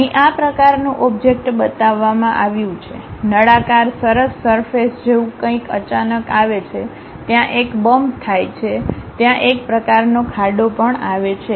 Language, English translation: Gujarati, Here such kind of object is shown, a something like a cylindrical nice surface comes suddenly, there is a bump happens there a kind of dent also there